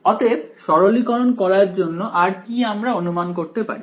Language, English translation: Bengali, So, what is another simplifying assumption we could do